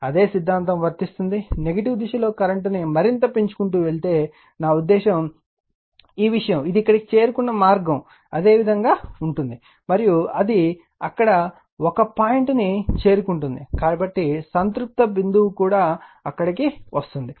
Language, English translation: Telugu, Same philosophy will happen, if you further go on your what you call that your increase the current in the negative direction I mean this thing, the way it has reached here same way it will the right, and it will get as get a point there like your saturated point you will get there